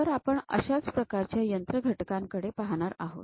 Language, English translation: Marathi, So, let us look at one such kind of machine element